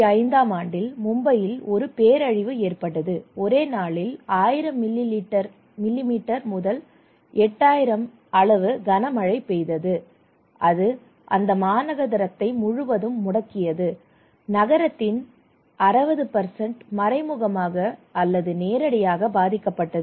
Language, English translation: Tamil, In 2005 there was a catastrophic disaster in Mumbai, one day 1000 almost 1000 millimetre of rainfall and it paralyzed the city, 60% of the city were indirectly or directly affected okay